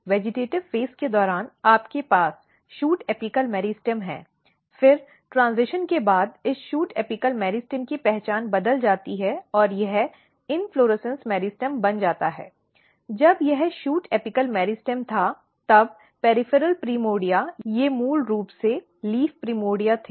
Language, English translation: Hindi, So, during vegetative phase you have shoot apical meristem then after transition this shoot apical meristem changes the identity and it becomes inflorescence meristem; when it was shoot apical meristem then the peripheral primordia they were basically leaf primordia